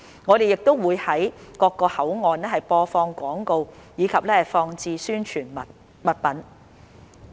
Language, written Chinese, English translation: Cantonese, 我們亦會於各個口岸播放廣告，以及放置宣傳物品。, We will also broadcast advertisements and place promotional materials at various boundary control points